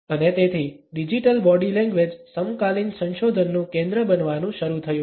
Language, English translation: Gujarati, And therefore, Digital Body Language has started to become a focus in contemporary research